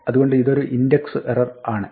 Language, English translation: Malayalam, So, this is an index error